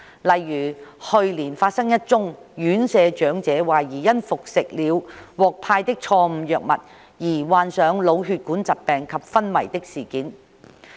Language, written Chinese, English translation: Cantonese, 例如，去年發生一宗院舍長者懷疑因服食了獲派的錯誤藥物而患上腦血管疾病及昏迷的事件。, For example an incident occurred last year in which an elderly resident of an RCHE suffered from cerebrovascular disease and fell into a coma allegedly because she had taken the wrong medication given to her